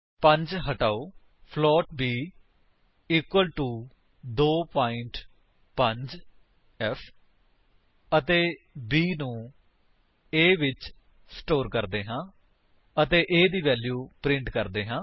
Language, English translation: Punjabi, Remove the 5, float b equal to 2.5f and let us store b in a and print the value of a